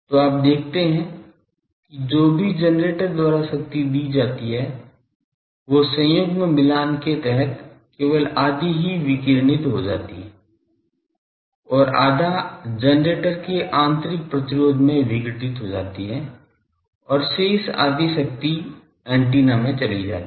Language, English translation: Hindi, So, you see that whatever total power is supplied by the generator, only half of that under conjugate matching can be radiated and half get is dissipated in the internal resistance of the generator and the remaining half power goes to antenna